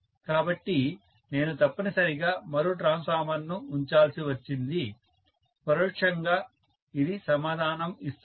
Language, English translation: Telugu, So, I had to necessarily put one more transformer, so that gives the answer indirectly